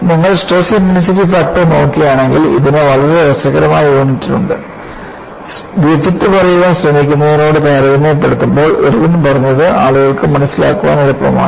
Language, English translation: Malayalam, Relatively because if you look at the stress intensity factor, it has very funny units; leaving that apart, compare to what Griffith was trying to say, what Irwin said was easier for people to understand